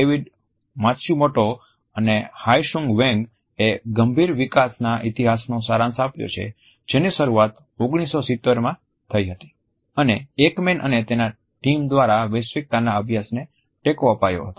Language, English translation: Gujarati, David Matsumoto and Hyi Sung Hwang have summarize history of critical developments which it is started in 1970s and supported the universalities studies by Ekman and his group